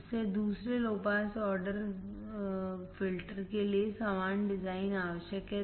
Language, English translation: Hindi, Therefore, the designs are required for second low pass order filters are the same